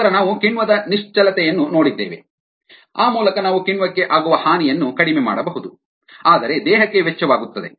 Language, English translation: Kannada, then we looked at enzyme immobilization, where by we can minimize the damage to the enzyme, but it comes at a cost